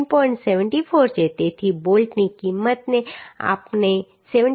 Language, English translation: Gujarati, 74 therefore the bolt value we can consider as 74